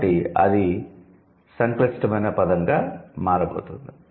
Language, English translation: Telugu, So, that's going to be a complex word